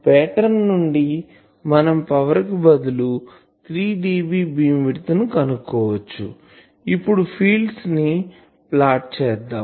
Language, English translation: Telugu, From the pattern, we can find out that this is the 3 dB beam width if instead of power, we can plot fields